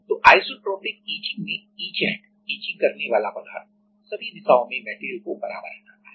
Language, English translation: Hindi, So, in isotropic etching what happens that in all the direction etchant will etch the material in all the direction equally